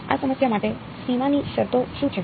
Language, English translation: Gujarati, What is a boundary condition for this problem